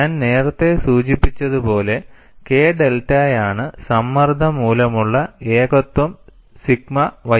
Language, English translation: Malayalam, And as I mentioned earlier, K delta is a singularity due to pressure sigma ys